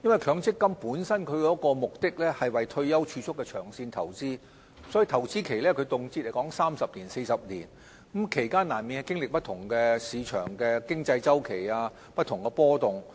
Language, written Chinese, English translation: Cantonese, 強積金本身是為退休儲蓄目的而作的長線投資，所以投資期動輒三四十年，其間難免經歷市場的經濟周期及不同的波動。, We have long since pointed out that MPF is a form of long - term investments aimed at saving money for post - retirement needs . Hence the period of investment can be as long as 30 to 40 years during which cyclical and other fluctuations of the market and the economy are inevitable